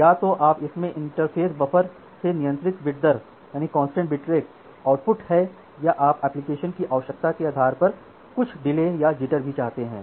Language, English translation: Hindi, So, either it has constant bit rate output from the interface buffer or you also want certain delay or certain jitter based on the application requirement